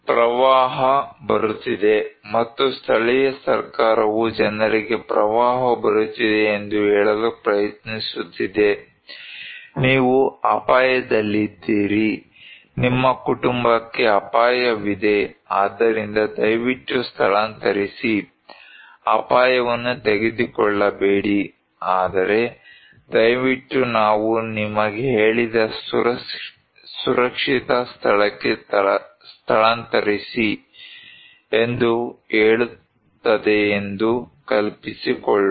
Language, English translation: Kannada, Let us imagine that a flood is coming and local government is trying to say to the people that flood is coming so, you are at risk so, your family is at risk so, please, please, please evacuate, do not take the risk, but please evacuate to a safer place that we told you